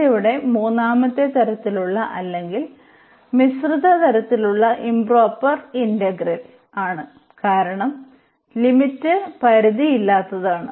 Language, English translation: Malayalam, This is here the integral of third kind or the mixed kind because the limit is also unbounded